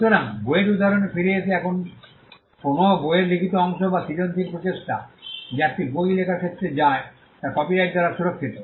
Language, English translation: Bengali, So, coming back to the book example a book the written part of the book or the creative endeavor that goes into writing a book is protected by copyright